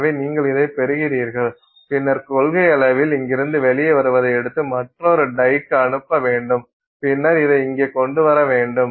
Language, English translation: Tamil, So, you get this in and then in principle you can take that what comes out of here and send it into another die and then bring it out here